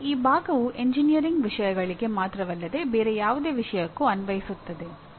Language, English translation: Kannada, That means this part will apply not only to engineering subjects but to any other subject as well